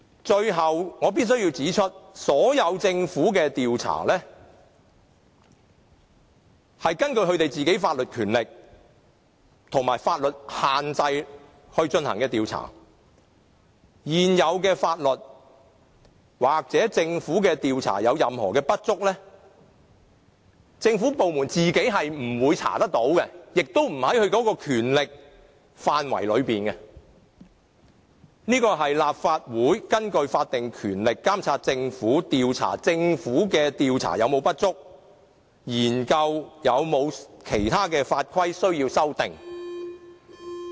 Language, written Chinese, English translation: Cantonese, 最後，我必須指出，政府的所有調查，是根據部門本身的法律權力和法律限制來進行調查，如現有的法例或政府的調查有任何不足，政府部門本身不會調查到結果，亦不在其權力範圍內，這便要立法會根據法定權力，監察政府，調查政府所作的調查有否不足，研究有否其他的法規需要修訂。, Finally I have to highlight that all the investigations of the Government are carried out in accordance with the legal powers vested in the respective departments within the confines of the law . In case there is any inadequacy in the existing legislation or investigations of the Government which make the government departments unable to find out any result from their investigations or in case the issues concerned are not within their purviews we will need the Legislative Council in accordance with the statutory power vested in it to monitor the Government inquire into any inadequacy in the investigations conducted by the Government and study any need to amend other legislation